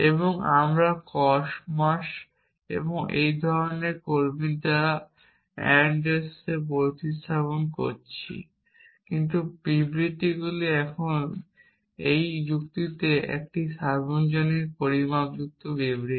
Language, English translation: Bengali, And we are replacing ands by comas and this kind of staff, but the statements are still the same they are still the same universally quantified statements in logic